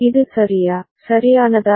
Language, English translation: Tamil, Is it ok, right